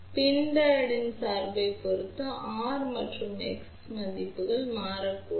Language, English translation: Tamil, So, the values of R and X may change depending upon the biasing of PIN Diode